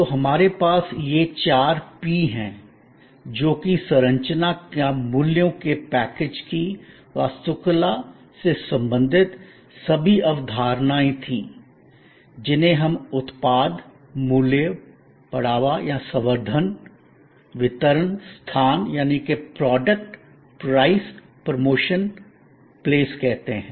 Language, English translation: Hindi, So, we had this four P’s famous product, which was all the concepts related to structuring or the architecture of the package of values, which we call product, Place and Time, which meant the way products reached the consumer, the Distribution, Price and lastly Promotion and Education